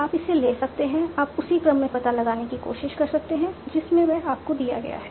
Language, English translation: Hindi, You can try to explain the same order that is in which they are given to you